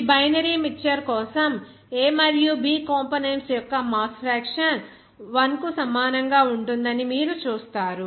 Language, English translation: Telugu, You will see interesting that summation of this mass fraction of A and B components for this binary mixture will be equal to 1